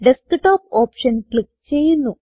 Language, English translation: Malayalam, Now click on the Desktop option